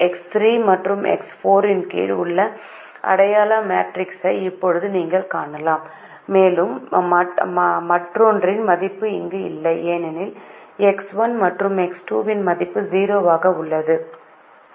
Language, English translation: Tamil, you can now see the identity matrix which is under x three and x four and the other one is not there because x one and x two are zero